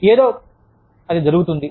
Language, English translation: Telugu, Something, that happens